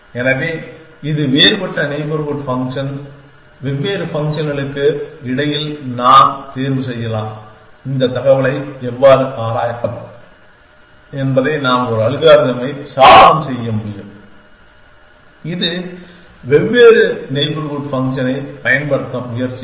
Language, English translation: Tamil, So, it is a different neighborhood function, I can choose between different functions how can I explore this information can I device an algorithm which it will try to make use of different neighborhood function